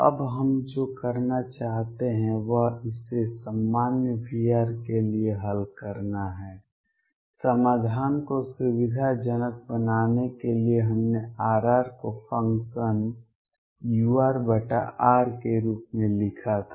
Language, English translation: Hindi, Now, what we want to do now is solve this for a general v r, to facilitate the solution we had written R r as the function u r over r